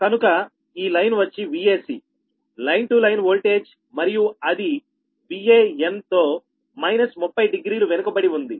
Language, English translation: Telugu, so this line will be v a c, line to line voltage, lagging from v a n by minus thirty degree